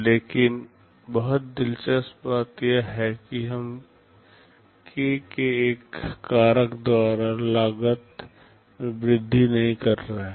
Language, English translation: Hindi, But the very interesting thing is that we are not increasing the cost by a factor of k